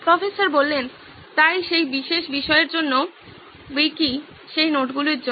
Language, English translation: Bengali, So Wiki for that particular subject, for that notes